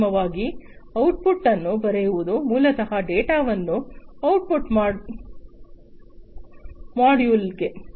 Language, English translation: Kannada, And finally, writing the output, writing basically the data into the output module